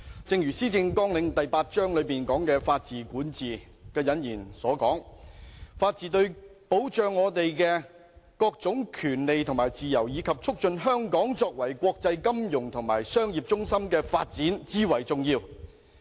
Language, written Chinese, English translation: Cantonese, 正如施政綱領第八章"法治、管治"的引言所述，"法治對保障我們各種權利及自由，以及促進香港作為國際金融及商業中心的發展，至為重要。, As stated in the introduction of Chapter 8 Rule of Law Governance of the Policy Agenda The rule of law is vital for safeguarding our rights and freedoms . It is also instrumental in promoting Hong Kongs development as an international financial and commercial centre